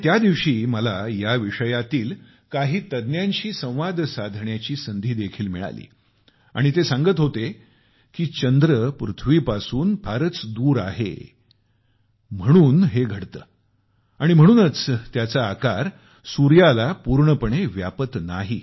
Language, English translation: Marathi, On that day, I had the opportunity to talk to some experts in this field…and they told me, that this is caused due to the fact that the moon is located far away from the earth and hence, it is unable to completely cover the sun